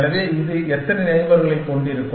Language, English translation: Tamil, So, how many neighbors will this have